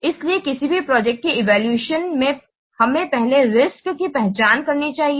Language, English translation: Hindi, So here in any project evaluation, we should identify the risk first